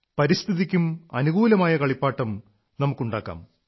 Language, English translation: Malayalam, Let us make toys which are favourable to the environment too